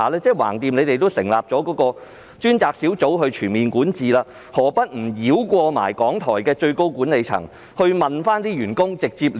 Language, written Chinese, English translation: Cantonese, 反正政府也成立了一個專責小組就其全面管治進行檢討，何不繞過港台的最高管理層，直接向員工查詢？, Since the Government has established a dedicated team to review its overall governance why does not the Secretary bypass the top management of RTHK and consult its staff directly?